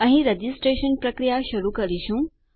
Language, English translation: Gujarati, Here we are going to start our registration process